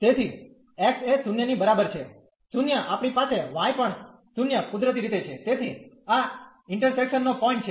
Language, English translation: Gujarati, So, at x is equal to 0 we have the y also 0 naturally, so this is the point of intersection